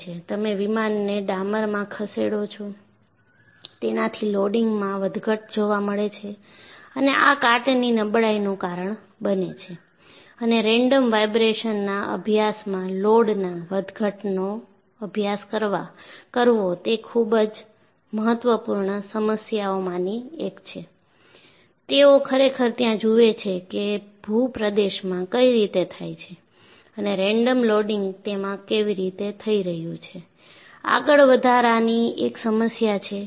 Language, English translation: Gujarati, You move the aircraft in the tar mark, so you have loading fluctuations and this causes onset of corrosion fatigue, and it is one of the very important problem to study the fluctuation of loads in randomization studies, they really look at, what way the terrain is and how the random loading is taking place, and so on and so forth